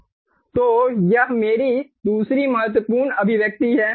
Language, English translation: Hindi, so this is my other important expression